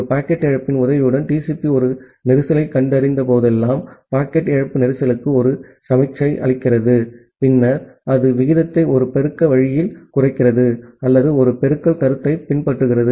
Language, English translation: Tamil, And whenever TCP detects a congestion with the help of a packet loss, where packet loss gives a signal to congestion, then it drops the rate in a multiplicative way or following a multiplicative notion